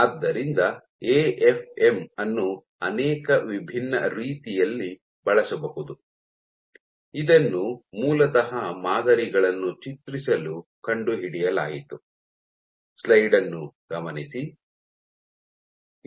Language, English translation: Kannada, So, AFM can be used in multiple different ways, it was originally discovered for imaging samples